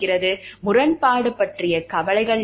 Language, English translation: Tamil, What is the concern and conflict of interest is